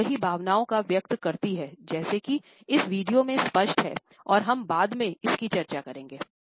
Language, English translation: Hindi, It expresses multiple emotions, as is evident in this video and as we would discuss later on